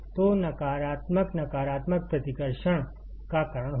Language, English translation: Hindi, So, negative negative will cause repulsion